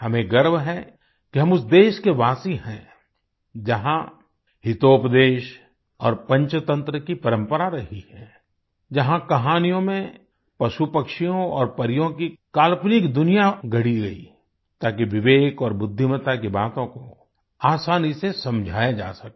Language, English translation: Hindi, We are proud to be denizens of the land that nurtured the tradition of Hitopadesh and Panch Tantra in which, through an imaginary world of animals, birds and fairies woven into stories, lessons on prudence and wisdom could be explained easily